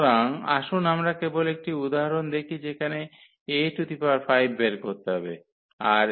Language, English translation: Bengali, So now here let us consider this example with A 5 4 and 1 2